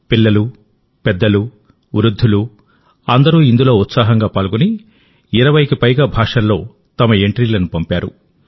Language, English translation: Telugu, Children, adults and the elderly enthusiastically participated and entries have been sent in more than 20 languages